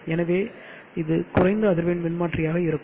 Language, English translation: Tamil, So it will be a low frequency transformer